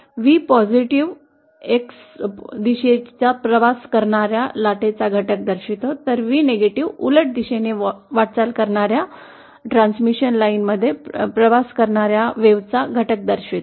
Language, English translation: Marathi, V+ represents the component of the wave travelling in the positive x direction, whereas V is that component of the wave travelling in the transmission line that is moving in the opposite direction